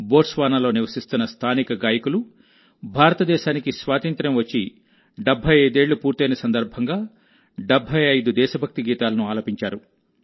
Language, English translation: Telugu, Local singers living in Botswana sang 75 patriotic songs to celebrate 75 years of India's independence